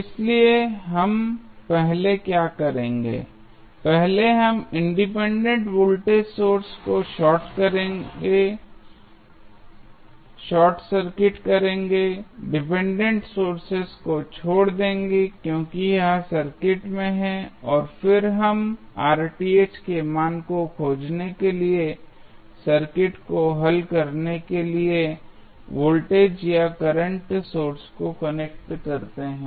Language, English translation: Hindi, So, what we will do first, first we will short circuit the independent voltage source, leave the dependent source as it is in the circuit and then we connect the voltage or current source to solve the circuit to find the value of Rth